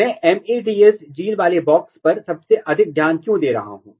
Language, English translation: Hindi, Why I am focusing most on the MADS box containing gene